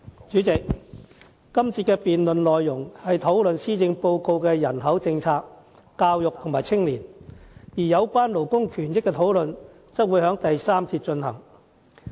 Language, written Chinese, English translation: Cantonese, 主席，這個辯論環節的內容，針對施政報告的人口、教育及青年政策，而有關勞工權益的討論則會在第三個辯論環節進行。, President this debate session focuses on population education and youth policy stated in the Policy Address; whilst the discussions on labour rights will take place in the third debate session